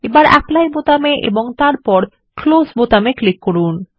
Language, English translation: Bengali, Now click on the Apply button and then click on the Close button